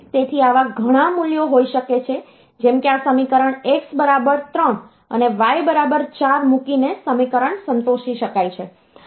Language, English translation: Gujarati, Now x, and there is another requirement, so there can be many values like this equation can be satisfied by putting x equal to 3 and y equal to 4